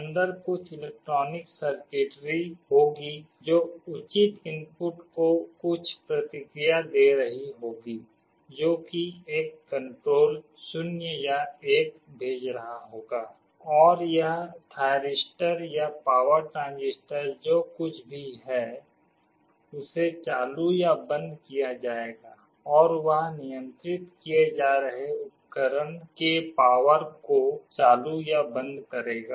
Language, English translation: Hindi, Inside there will be some electronic circuitry, which will be responding to some appropriate input that will be sending a control 0 or 1, and this thyristor or power transistor whatever is there will be switched on or off, and that will be turning the power on or off to the device that is being controlled